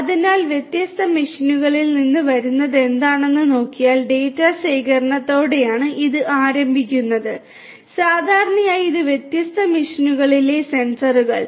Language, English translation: Malayalam, So, it starts with a collection of data if you look at which comes from different machines, the sensors in these different machines typically